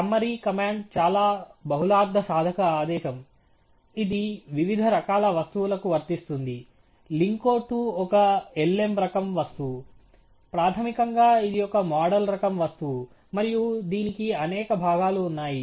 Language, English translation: Telugu, The summary command is a very multipurpose command which applies to different types of objects; lin CO 2 is an lm type object, basically it’s a model type object and it has several components to it